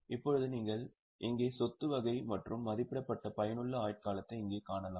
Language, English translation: Tamil, Now you can see here type of the asset and estimated useful life